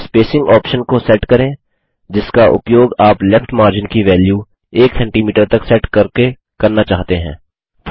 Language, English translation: Hindi, Set the spacing options that you want to use by setting the value of the Left margin to 1.00cm